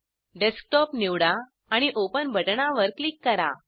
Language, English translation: Marathi, Select Desktop and click on Open button